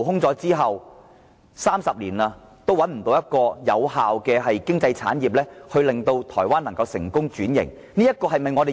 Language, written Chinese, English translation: Cantonese, 至今已30年，台灣仍然無法找出另一種有效的經濟產業，令其成功轉型。, It has been 30 years but Taiwan has yet to identify an effective alternative that can successfully transform its economy